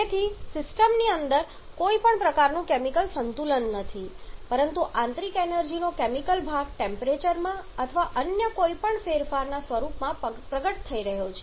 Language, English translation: Gujarati, Therefore there is no kind no chemical equilibrium present in there inside the system rather the chemical part of the internal energy is getting manifested in the form of probably some change in temperature or something else